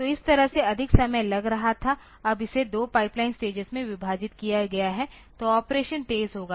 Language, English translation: Hindi, So, that way it was taking more time now it is divided into 2 pipeline stages so, the operation will be faster ok